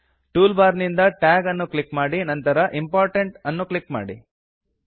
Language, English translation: Kannada, From the toolbar, click the Tag icon and click Important again